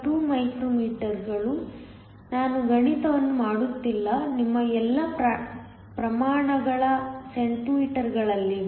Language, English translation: Kannada, 2 micro meters, I am not doing the math so, all your units are in centimeters